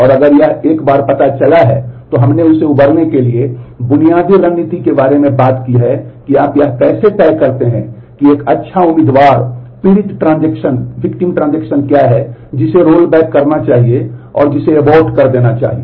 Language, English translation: Hindi, And if once this has been detected, we have talked about basic strategy to recover from that that is how do you decide what are the what is a good candidate victim transaction which should be rolled back, which should be aborted